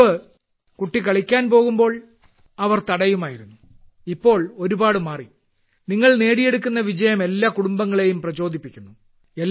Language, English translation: Malayalam, Earlier, when a child used to go to play, they used to stop, and now, times have changed and the success that you people have been achieving, motivates all the families